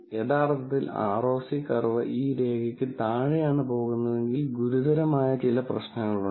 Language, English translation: Malayalam, If actually the ROC curve goes below this line, then there is some serious problem